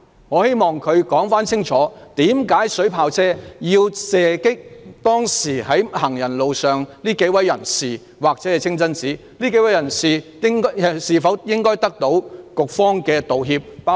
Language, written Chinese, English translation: Cantonese, 我希望局長清楚解釋為甚麼水炮車要射擊清真寺或當時在行人路上的幾位人士。這幾位人士是否應該得到局方的道歉？, I hope that the Secretary can clearly explain why the water cannon vehicle had sprayed at the Mosque or the small number of people on the